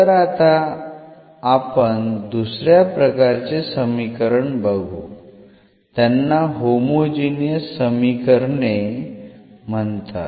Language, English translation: Marathi, So, another type of equations we will consider now these are called the homogeneous equations